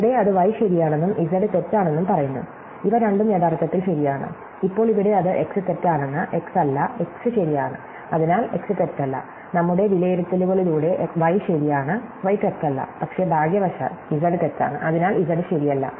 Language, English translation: Malayalam, Here, it says y is true, z is false, so both of these are actually true and now, here it says x is false not x, but x is true, so not x is false, y is true by our evaluations not y is false, but fortunately z is false, so not z is true